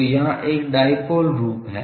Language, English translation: Hindi, So, there is a dipole form here